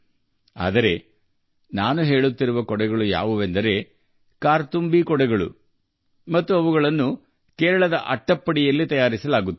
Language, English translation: Kannada, But the umbrella I am talking about is ‘Karthumbhi Umbrella’ and it is crafted in Attappady, Kerala